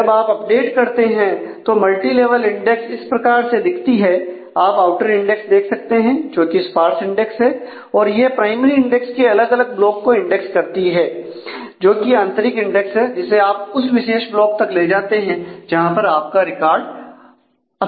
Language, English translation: Hindi, When you do an update so, this is what is a view of the multi level index you can see the outer index which is sparsely index and index those lead to different blocks of primary index of the of the inner index which is the primary index and then you traverse to the specific block where your record is expected